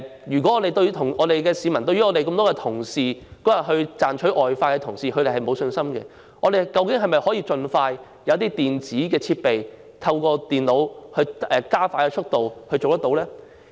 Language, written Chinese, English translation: Cantonese, 如果市民對於當天賺取外快的多位人員沒有信心，究竟我們能否盡快使用電子設備，透過電腦加快投票速度？, If people have no confidence in the staff working in the polling station for some extra pay can we use electronic means as soon as possible to expedite the process of voting?